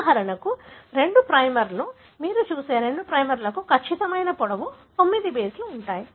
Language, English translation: Telugu, For example the two primers that you see the two primers have a definite length that is 9 bases